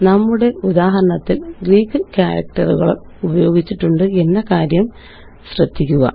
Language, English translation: Malayalam, Notice that we have used Greek characters in our example